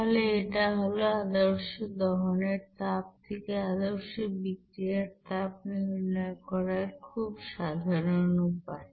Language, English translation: Bengali, So simple way to calculate that standard heat of reaction from the standard heat of combustion